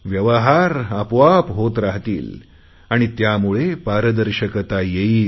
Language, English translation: Marathi, Businesses will function automatically, resulting in a certain transparency